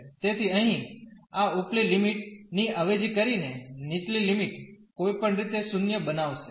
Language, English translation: Gujarati, So, substituting this upper limit here, the lower limit will make anyway this 0